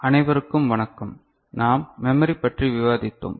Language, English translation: Tamil, Hello everybody, we were discussing Memory